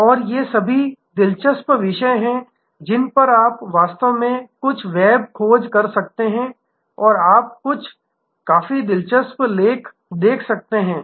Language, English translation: Hindi, And all these are interesting subjects on which, you can actually do some web search and you would be able to read some, quite a view interesting articles